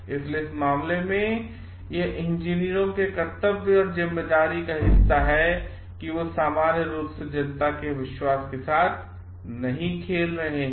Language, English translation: Hindi, So, in that case it is a part of the duty and responsibility of the engineers to see like they are not playing with the trust of the public in general